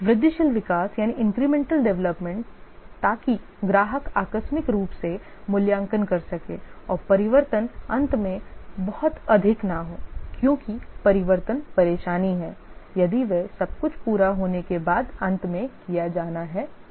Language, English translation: Hindi, Incremental development so that the customer incrementally evaluates and the changes are not too much at the end because the changes are troublesome if they have to be done at the end once everything completes